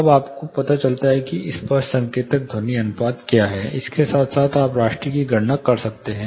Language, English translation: Hindi, Then you find out what is the apparent signalled noise ratio, with that you can actually calculate RASTI